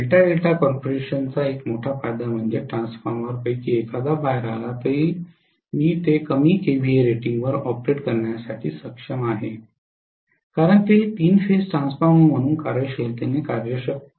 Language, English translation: Marathi, The major advantage one single advantage of Delta Delta configuration is even if one of the Transformers conked out I should be able to operate it at a reduced KVA rating because it can functionally work properly as a three phase transformer